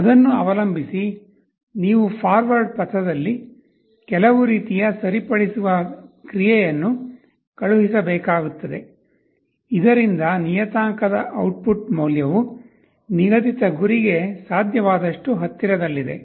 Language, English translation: Kannada, Depending on that you will have to send some kind of a corrective action along the forward path so that the output value of the parameter is as close as possible to the set goal